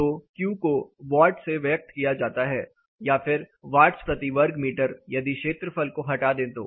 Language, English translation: Hindi, So, Q is in expressed in watts or you can cut it down to watts per meter square of this area component is negated